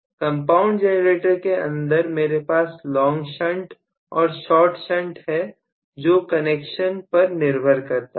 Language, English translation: Hindi, So, inside compound generator I can have long shunt short shunt this is depending upon the connection